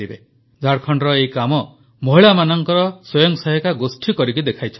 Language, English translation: Odia, A self help group of women in Jharkhand have accomplished this feat